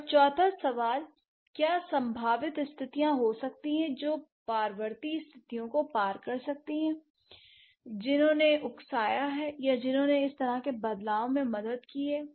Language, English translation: Hindi, And the fourth question, what could be the possible conditions, cross linguistically recurrent conditions which have instigated or which have helped such kind of a change